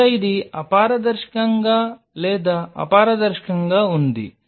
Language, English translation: Telugu, Here this was opaque or translucent